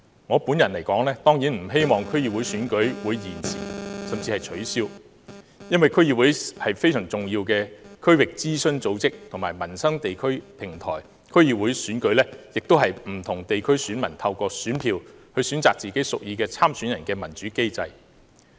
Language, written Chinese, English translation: Cantonese, 我本人當然不希望區議會選舉會延遲甚至取消，因為區議會是十分重要的區域諮詢組織及民生地區平台，區議會選舉亦是不同地區選民透過選票，選擇自己屬意的參選人的民主機制。, I certainly do not want the District Council Election to be postponed or called off because the District Council is a vital regional consultative body and a livelihood platform at the district level . The District Council Election is also a democratic mechanism through which people in different districts choose the candidates of their choices with their votes